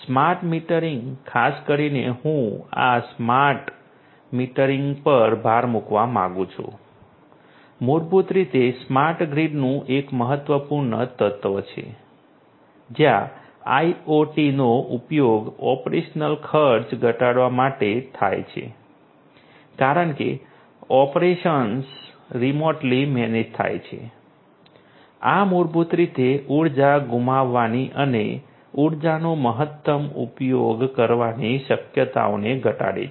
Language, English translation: Gujarati, Concepts for smart metering building automation are also quite popular, smart metering particularly I would like to emphasize this smart metering basically is an important element of smart grid, where IoT is used to reduce the operational cost as the operations are remotely managed; this basically reduces the chances of energy loss and optimum use of energy